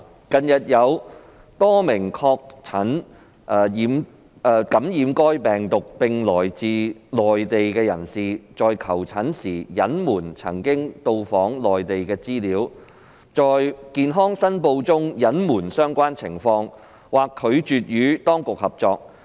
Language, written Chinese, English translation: Cantonese, 近日有多名確診感染該病毒並來自內地的人士，在求診時隱瞞曾到訪內地的資料、在健康申報中隱瞞相關情況，或拒絕與當局合作。, In recent days a number of persons from the Mainland who had been confirmed to have been infected with the virus withheld the information of having visited the Mainland when seeking medical treatment withheld the relevant circumstances when making health declarations or refused to cooperate with the authorities